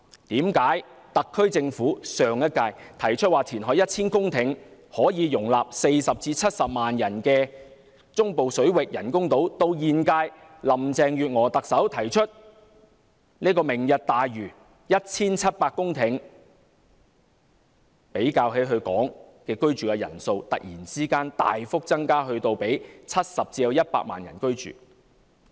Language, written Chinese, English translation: Cantonese, 上屆特區政府提出填海 1,000 公頃，建造可以容納40萬至70萬人的中部水域人工島，為何及至現屆特首林鄭月娥提出的"明日大嶼"，即要填海 1,700 公頃，而她所說的居住人口竟突然大幅增至70萬至100萬人呢？, The SAR Government of the previous term proposed the reclamation of 1 000 hectares of land for the creation of artificial islands in the Central Waters to house a population of 400 000 to 700 000 . Why would the Lantau Tomorrow programme proposed by Chief Executive Carrie LAM of the current term require the reclamation of 1 700 hectares and why would the population to be housed increase significantly to 700 000 to 1 million?